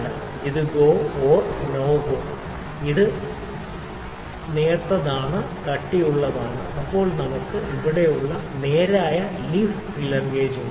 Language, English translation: Malayalam, So, this is GO /NO GO this is thin this is thick then we have straight leaf feeler gauge like we have here